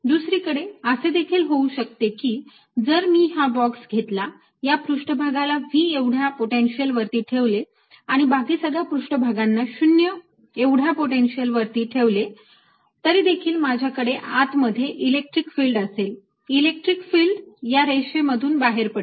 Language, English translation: Marathi, i may have a situation, for example, if i take this box, put this surface at some potential v and i put all the other surfaces at zero potential, i'll still have electric field inside because electric field will be coming out of this line